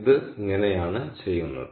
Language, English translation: Malayalam, so this is how it is done